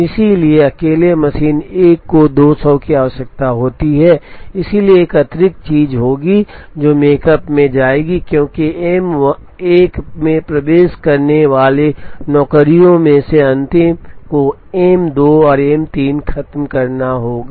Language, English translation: Hindi, So, the machine 1 alone would require 200, so there will be an additional thing that will go into the makespan, because the last of the jobs entering M 1 has to finish M 2 and M 3